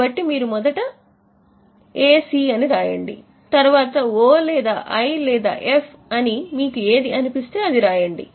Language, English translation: Telugu, So, I recommend that you just write SC, write O or I or F, whatever you feel it is